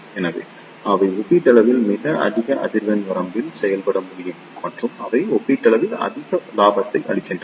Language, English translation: Tamil, So, they can operate up to relatively very high frequency range and they provides relatively high gain